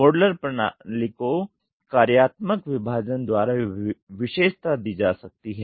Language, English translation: Hindi, Modularity system can be characterized by functional partitioning